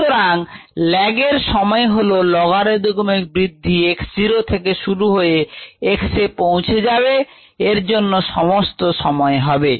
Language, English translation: Bengali, this is the time for logarithmic growth, starting from x zero to reach x